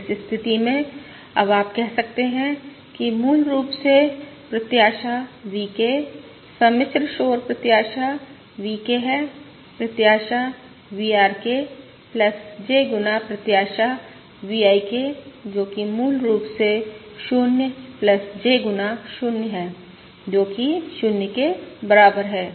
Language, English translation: Hindi, In that case now you can say that basically, expected VK, the complex noise VK, is expected VRK plus J times expected V IK, which is basically 0 plus J times 0, which is equal to 0, That is, VK is also 0 mean